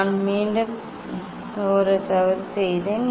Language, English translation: Tamil, I again I did one mistake